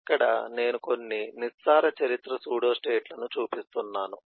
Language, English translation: Telugu, this is an example of deep history pseudostate